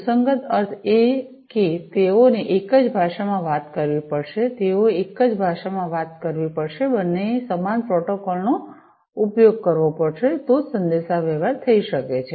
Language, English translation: Gujarati, Compatible means, that they have to talk the same language, they will have to talk the same language, basically you know, both will have to use the same protocol then only the communication can happen